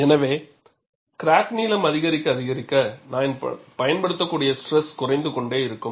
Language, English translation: Tamil, So, as the crack length increases the stress that I could apply would be smaller and smaller